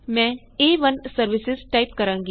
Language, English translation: Punjabi, I will type A1 services